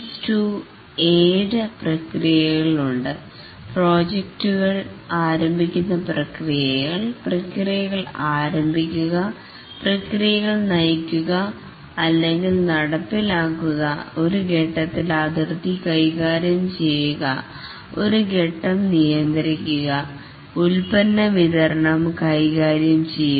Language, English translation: Malayalam, There are essentially seven processes in Prince II, the project starting processes, initiating processes, directing processes, managing a stage boundary, controlling a stage and managing product delivery